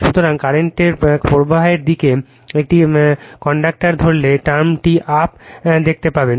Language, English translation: Bengali, So, if you grasp a conductor in the direction of the flow of the current you will see term is up